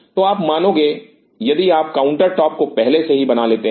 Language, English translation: Hindi, So, you realize if you make the counter top in advance